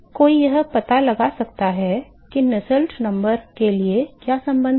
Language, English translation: Hindi, So, one can work out what is the; what are the correlations for the Nusselt number